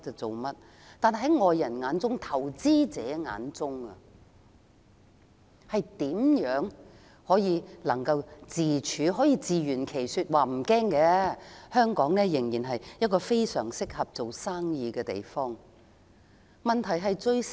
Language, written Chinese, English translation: Cantonese, 在外國投資者面前，她如何可以自圓其說，說服投資者無須擔心，香港仍是一個非常適合做生意的地方？, How can she justify herself and convince foreign investors not to worry and Hong Kong is still a place suitable for doing business?